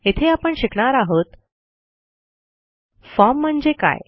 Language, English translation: Marathi, Here, we will learn the following: What is a form